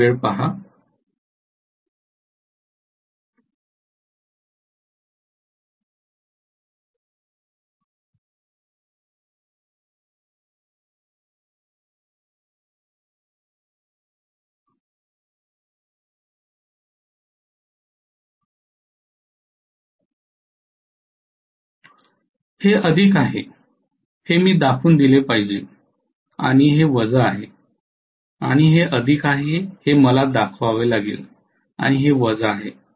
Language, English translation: Marathi, I should show this is plus and this is minus and I have to show this is plus and this is minus clearly